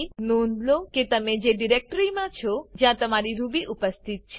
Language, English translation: Gujarati, Make sure that you are in the directory where your Ruby file is present